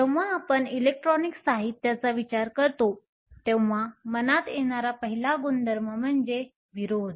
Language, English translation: Marathi, When we think of electronic materials, the first property that comes to mind is Resistance